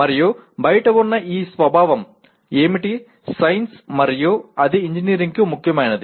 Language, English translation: Telugu, And what is the nature of that thing that exists outside is science and that is important to engineering